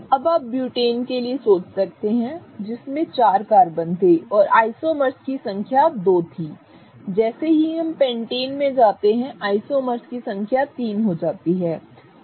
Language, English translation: Hindi, Now, you may think that for butane which had four carbons, the number of isomer isomers were two as we go to Pentane the number of isomers get to three